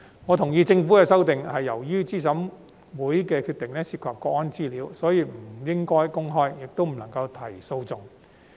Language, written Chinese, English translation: Cantonese, 我同意政府的修正案是由於資審會決定涉及國安資料，所以不應該公開，亦不能提出訴訟。, I agree with the Governments amendment that the decisions of CERC should not be made public nor may legal proceedings be brought against them because information on national security is involved